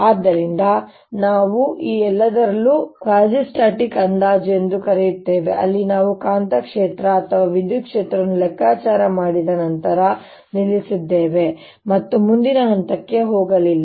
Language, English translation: Kannada, so we were using in all this something called the quasistatic approximation, where we stopped after calculating the magnetic field or electric field and did not go beyond to the next step